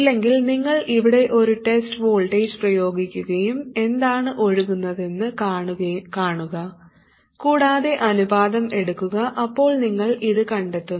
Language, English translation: Malayalam, If not you apply a test voltage here and see what can it flows, take the ratio, you will find this